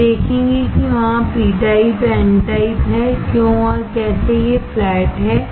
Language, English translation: Hindi, We will see there is a p type, n type and how, why these flats are there